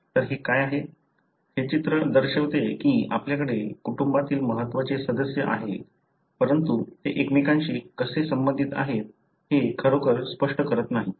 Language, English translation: Marathi, So, what it, this picture shows is that you do have important members of the family, but it doesn’t really explain how they are related to each other